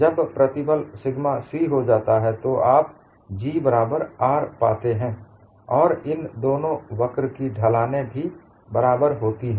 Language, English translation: Hindi, When the stress becomes sigma c, you find G equal to R as well as the slopes of these two curves are equal